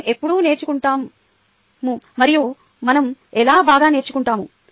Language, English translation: Telugu, when do we learn and how do we learn better